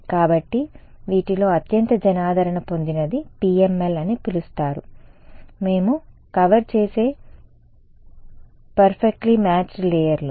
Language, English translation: Telugu, So, the most popular of this is what is called PML: Perfectly Matched Layers which we will cover